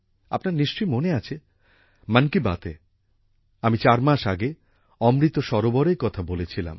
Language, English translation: Bengali, You will remember, in 'Mann Ki Baat', I had talked about Amrit Sarovar four months ago